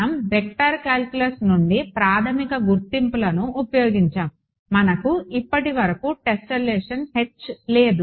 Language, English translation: Telugu, We just used basic identities from vector calculus; we do not have H the tessellation so far